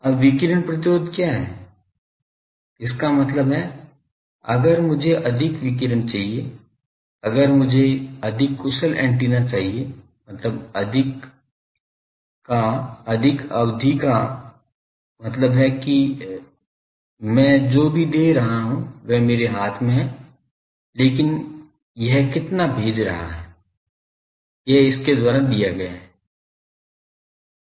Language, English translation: Hindi, Now, what is radiation resistance; that means, if I want more radiation if I want a more efficient antenna means more period, more period means whatever I am giving is in my hand here, but how much it is sending that is given by this